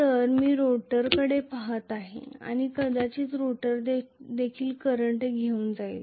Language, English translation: Marathi, So, I am looking at the rotor and the rotor might also carry a current